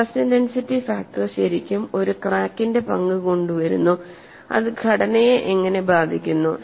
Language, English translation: Malayalam, So, stress intensity factor really brings in the role of a crack and how it affects the structure